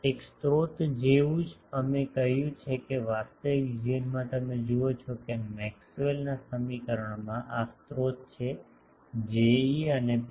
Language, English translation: Gujarati, A source just as we said that in actual life in Maxwell’s equation you see, who are the sources the sources are J e and rho